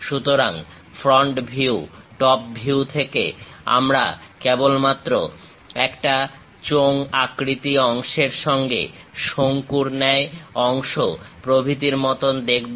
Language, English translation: Bengali, So, from front view, top view we just see something like a cylindrical portions with conical portion and so on